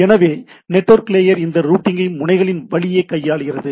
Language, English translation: Tamil, So, network layer handles this routing along the nodes